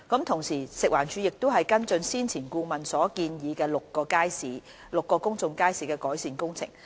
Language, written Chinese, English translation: Cantonese, 同時，食環署正跟進先前顧問所建議於6個公眾街市的改善工程。, Besides FEHD has been following up on the improvement works for the six public markets previously recommended by a consultant